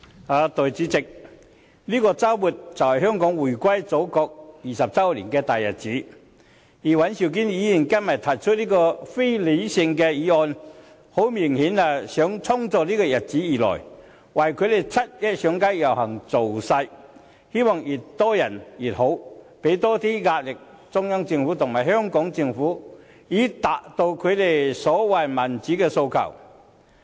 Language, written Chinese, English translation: Cantonese, 代理主席，這個周末就是香港回歸祖國20周年的大日子，而尹兆堅議員今天提出這項非理性的議案，明顯地就是要衝着這個日子而來，為他們七一上街遊行造勢，希望越多人越好，以期向中央政府和香港政府施加更多壓力，以達到他們所謂的民主訴求。, Deputy President the 20 anniversary of Hong Kongs reunification with the Motherland a very important day for Hong Kong falls on this weekend . Today Mr Andrew WAN proposes this irrational motion with the obvious intent to target this special day and rally support for the 1 July march hoping to attract as many participants as possible so as to exert more pressure on the Central Government and the SAR Government thereby achieving their so - called pursuit of democracy